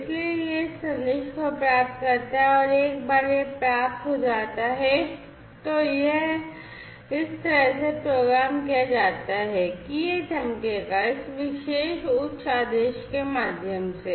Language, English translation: Hindi, So, it receives this message, and once it has received it is programmed in such a way that it is going to glow that led through this particular command high, right